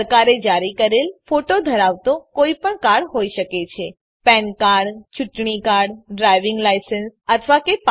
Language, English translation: Gujarati, Any government issued card with photo it could be an Pan card Election card Driving license or a passport it could be any of these